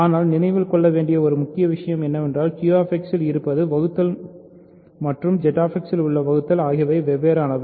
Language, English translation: Tamil, But main thing to keep in mind is the difference between division in Q X and division in Z X